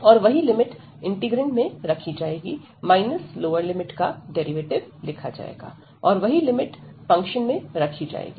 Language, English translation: Hindi, And that same limit will be substituted in the integrand, and minus the lower the derivative of the lower limit and the same limit will be substituted into the function